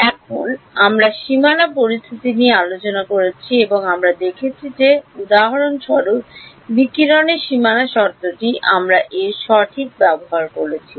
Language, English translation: Bengali, Now, we had a discussion on boundary conditions and we have seen that the for example, the radiation boundary condition we have used its in exact